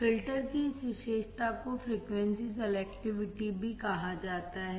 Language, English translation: Hindi, This property of filter is also called frequency selectivity